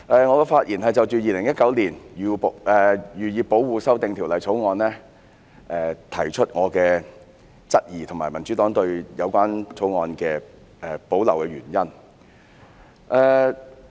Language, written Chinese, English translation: Cantonese, 我的發言是對《2019年漁業保護條例草案》提出質疑，以及闡述民主黨對《條例草案》有保留的原因。, I speak to raise questions on the Fisheries Protection Amendment Bill 2019 the Bill and elaborate the reasons behind the Democratic Partys reservations about the Bill